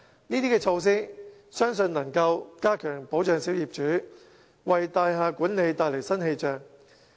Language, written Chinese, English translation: Cantonese, 我相信這些措施能加強保障小業主，為大廈管理帶來新氣象。, I believe these measures can enhance the protection for owners and bring changes to building management